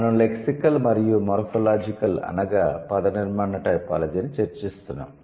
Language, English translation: Telugu, We were discussing lexical and morphological typology